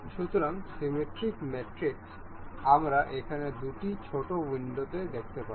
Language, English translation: Bengali, So, in the symmetric mate, we can see here two little windows